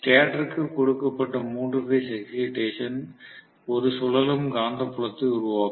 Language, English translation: Tamil, Now, three phase excitation given to the stator will create a revolving magnetic field